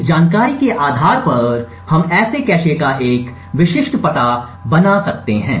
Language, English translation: Hindi, Based on all of this information we can next construct a typical address of such a cache